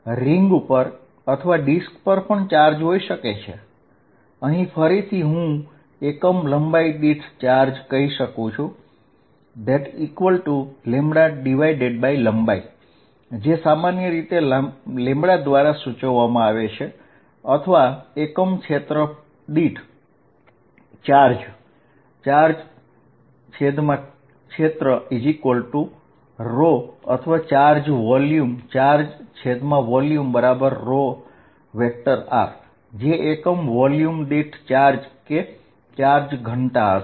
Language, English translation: Gujarati, There could also be charge say on a ring or on a disk, here again I will say charge per unit length (=λ/length) which is usually denoted by lambda or charge per unit area (Charge/area = σ) or charge in a volume (Charge/volume =ρ), which will be charge density charge per unit volume